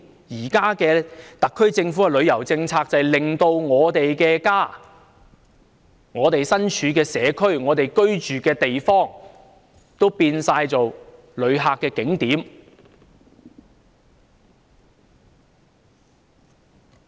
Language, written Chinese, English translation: Cantonese, 現時特區政府的旅遊政策，就令到我們的家、我們身處的社區、我們居住的地方都變成旅客的景點。, The existing tourism policy of the SAR Government has turned our home our communities our residential neighbourhoods into attractions for tourists